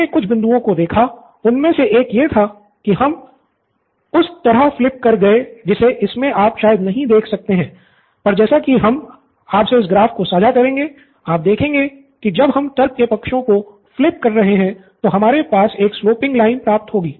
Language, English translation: Hindi, We saw a few points one of them was that we flipped the side in which you can probably cannot see this, we will share of graph of this is we flipped the sides of logic, so to speak, so that we have a sloping line